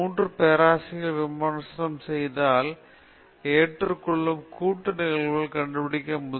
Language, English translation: Tamil, So if your paper is reviewed by three professors, find out the joint probability of acceptance